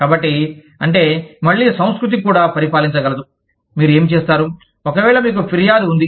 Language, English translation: Telugu, So, that is, and again, the culture could also govern, what you do, in case, you have a grievance